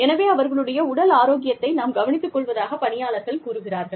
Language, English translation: Tamil, So, employees say that, we can take care of our physical health